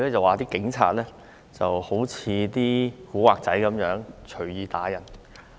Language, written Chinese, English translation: Cantonese, 他說警察好像"古惑仔"一樣，隨意打人。, He said that the Police are like gangsters and they arbitrarily assaulted members of the public